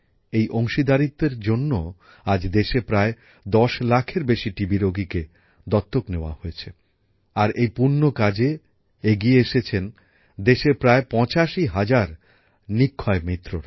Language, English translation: Bengali, It is due to this participation, that today, more than 10 lakh TB patients in the country have been adopted… and this is a noble deed on the part of close to 85 thousand Nikshay Mitras